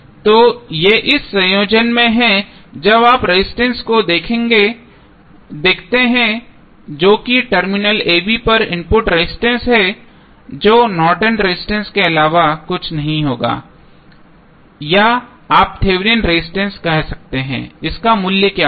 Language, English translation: Hindi, So, these are in this combination when you see resistance that is input resistance across terminal a, b that would be nothing but the Norton's resistance or you can say Thevenin resistance what would be the value